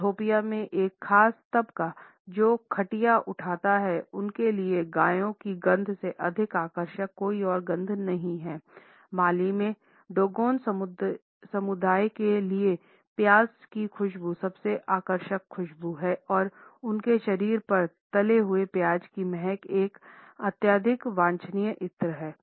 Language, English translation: Hindi, A particular section in Ethiopia, which raises cattles, finds that there is no scent which is more attractive than the odor of cows, for the Dogon of Mali the scent of onion is the most attractive fragrance and there are fried onions all over their bodies is a highly desirable perfumes